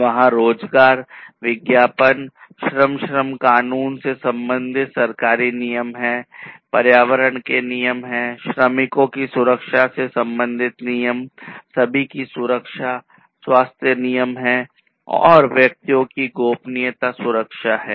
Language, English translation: Hindi, So, there are government regulations concerning employment, advertisement, labor – labor laws are there, environmental regulations are there, regulations concerning the safety of the workers, safety of everyone, health regulations are there, and privacy protection of individuals